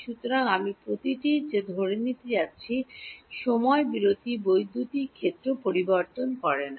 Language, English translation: Bengali, So, I am going to assume that over each time interval electric field does not change right